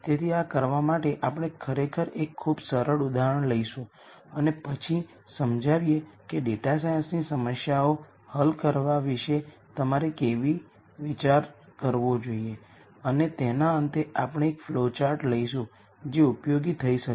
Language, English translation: Gujarati, So, to do this we are actually going to take a very simple example and then illustrate how you should think about solving data science problems and at the end of it we will come up with a flow chart that might be useful